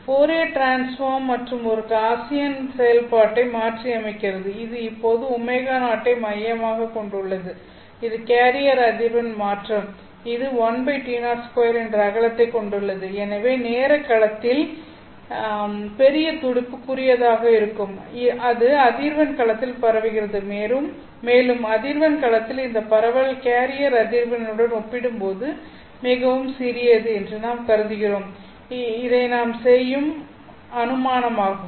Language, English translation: Tamil, So the Fourier transform also is a Gaussian function except that this is now centered at omega 0 which is the carrier frequency and it has a width which is 1 by t0 squared so the larger the pulse in the time domain the shorter will be its spread in the frequency domain and we are assuming that this spread in the frequency domain is much smaller compared to the carrier frequency so that's an assumption that we are making so this is what your a of omega would look at z equal to 0